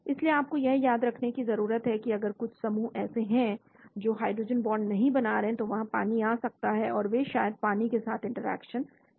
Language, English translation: Hindi, So you need to remember that if there are some groups which are not hydrogen bond forming, then there could be water coming in, and they maybe interacting with the water